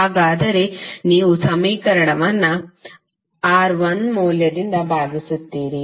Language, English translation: Kannada, You will simply divide the equation by the value of R1